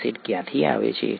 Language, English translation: Gujarati, Where does the acid come from